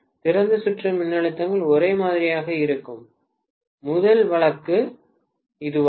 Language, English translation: Tamil, This is the first case where open circuit voltages are the same